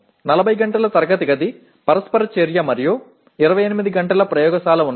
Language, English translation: Telugu, There are 40 hours of classroom interaction and 28 hours of laboratory